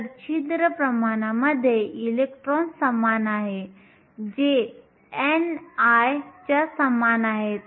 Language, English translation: Marathi, So, electron in hole concentration is the same which is equal to n i